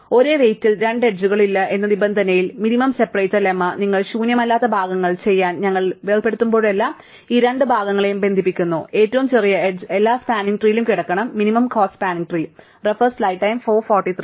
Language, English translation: Malayalam, So, under the condition that no two the edges at the same weight, the minimum separator lemma says that whenever you separate V in to do parts which are not empty, then the smallest edge connecting these two parts must lie in every spanning tree, every minimum cost spanning tree